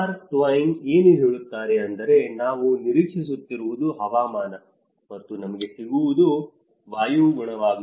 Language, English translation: Kannada, Mark Twain simply tells climate is what we expect and weather it is what we get